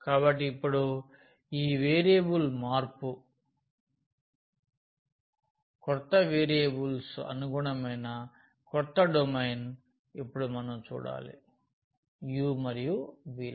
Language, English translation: Telugu, So, now this change of variable; we have to see now the domain the new domain here corresponding to the new variables u and v